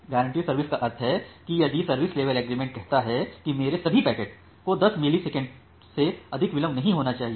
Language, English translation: Hindi, Guaranteed service means if the service level agreement says that all of my packets should not get more delay than 10 millisecond